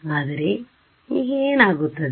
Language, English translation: Kannada, But now what happens